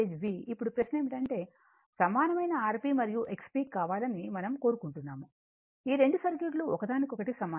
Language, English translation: Telugu, Now, question is that we want this one is equivalent R P and X P, these 2 circuits are equivalent to each other right